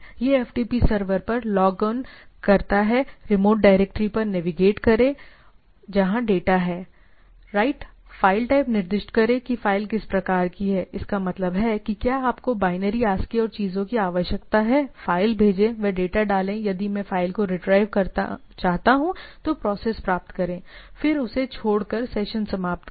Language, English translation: Hindi, So, it log on to the FTP server navigate to the correct remote directory right to where the data is there, specify the file type that what sort of file is there, send that means, whether you will require binary, ASCII and type of things, send the file, put that is the data if I want to retrieve file, then get process, then terminate the session by quitting it